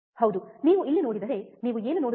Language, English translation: Kannada, Yeah so, if you see here, right what do you see